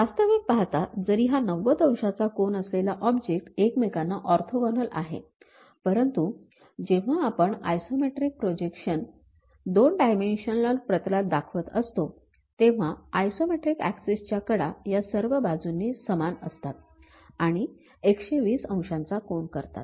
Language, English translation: Marathi, Though the real object having 90 degrees angle orthogonal to each other; but when we are showing isometric projection on the two dimensional plane, the edges, the axis isometric axis those makes 120 degrees equally on all sides, this is the first thing what we learn